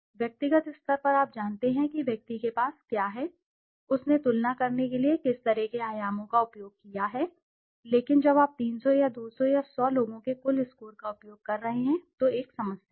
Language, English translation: Hindi, In the individual level you know what that the individual has, what kind of dimensions he has used to make the comparisons, but when you are using aggregate score of 300 or 200 or 100 people then there is a problem